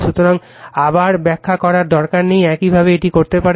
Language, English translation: Bengali, So, no need to explain again, similarly you can do it